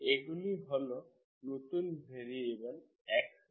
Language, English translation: Bengali, These are new variables x, capital X, Y